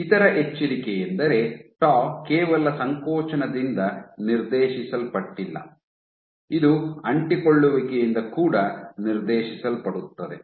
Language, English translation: Kannada, The other caveat is that tau is not only dictated by contractility, it is also dictated by adhesivity